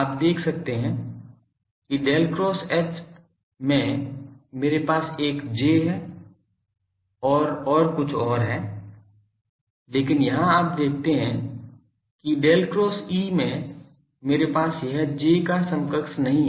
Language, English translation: Hindi, You can see that in Del cross H, I have a J and there is something else, but here you see that in Del cross E, I do not have this counterpart of J